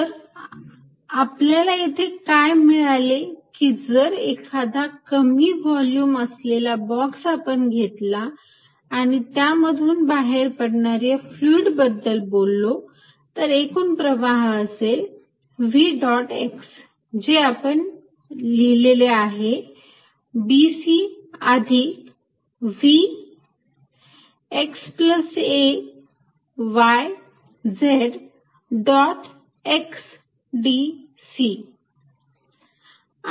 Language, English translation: Marathi, So, what we found is that if I take a small box a very small volume and talk about this fluid flow through this, then the net flow with now I am going to write as v dot x and we had written remember b c plus v at x plus a y z dot x d c